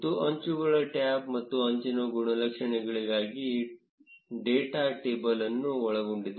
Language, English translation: Kannada, And the edges tab contains the data table for edges and edge attributes